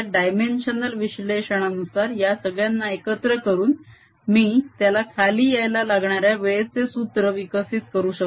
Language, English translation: Marathi, combining all this through a dimensional analysis i can create a formula for time that it will take to come down